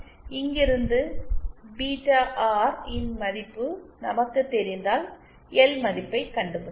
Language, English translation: Tamil, So from here if we know the value of beta R, then we can find out the value of L